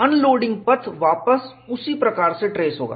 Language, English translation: Hindi, The unloading path will trace back, the same way